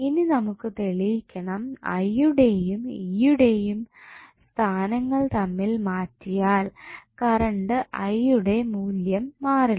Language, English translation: Malayalam, Now, we have to prove that if you exchange value of, sorry, the location of I and E the values of current I is not going to change